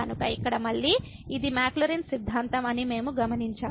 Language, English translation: Telugu, So, here again we note that this is the Maclaurin’s theorem